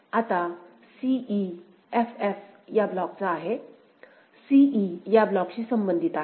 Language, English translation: Marathi, Now, for c e, f f belongs to this block; c e belongs to this block